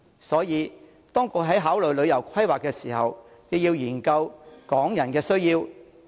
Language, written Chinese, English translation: Cantonese, 所以，當局在考慮旅遊規劃時，亦應研究港人的需要。, So when considering tourism planning the authorities should also take into account the needs of Hong Kong people